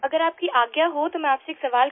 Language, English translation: Hindi, If you permit sir, I would like to ask you a question